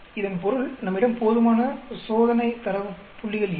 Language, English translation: Tamil, It means we have insufficient experimental data points